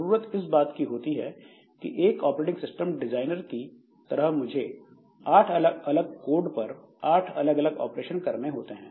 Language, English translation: Hindi, What is required is that as an OS designer I should be able to put eight different operations onto those eight different codes